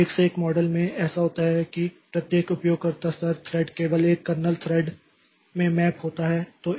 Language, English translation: Hindi, So, in one to one model what happens is that each user level thread maps into a single kernel thread